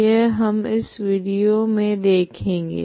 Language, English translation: Hindi, So we will see that in this video